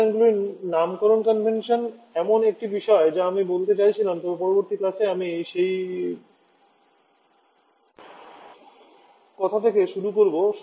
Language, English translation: Bengali, Naming convention of refrigerants is something that I wanted to talk about but in the next class I am starting from that point onwards